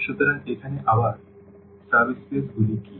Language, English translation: Bengali, So, here again this what are the subspaces here